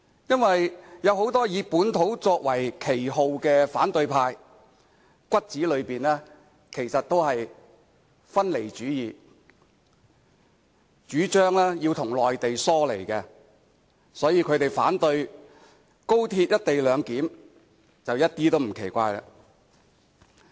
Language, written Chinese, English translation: Cantonese, 因為有很多打着本土旗幟的反對派，骨子裏其實都是分離主義分子，主張要與內地疏離，所以他們反對高鐵"一地兩檢"，一點也不奇怪。, It is because those members of the opposition holding up the banner of localism are separatists privately . They advocate separation from the Mainland . So there is no surprise to see them rejecting co - location at all